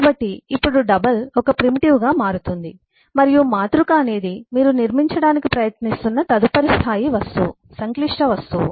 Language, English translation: Telugu, so now double becomes a primitive and matrix is the next level of object, complex object, that you are trying to build up